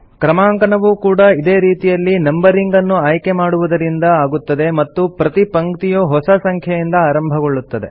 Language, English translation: Kannada, Numbering is done in the same way, by selecting the numbering option and every line will start with a new number